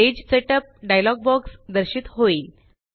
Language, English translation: Marathi, The Page Setup dialog box is displayed